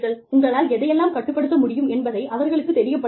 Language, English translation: Tamil, You let them know, what you can control